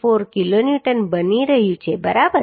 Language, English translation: Gujarati, 147 kilonewton right So this is becoming 74